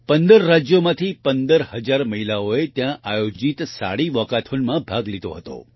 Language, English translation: Gujarati, 15,000 women from 15 states participated in the 'Saree Walkathon' held there